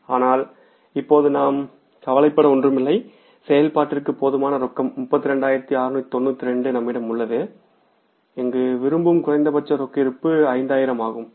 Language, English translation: Tamil, We have sufficient cash available for operations here that is 32,692 and the minimum cash balance desired here is that is 5,000s